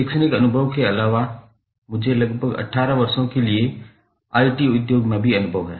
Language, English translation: Hindi, In addition to the academic experience which I have got in IITs, I also have experience in IT industry for around 18 years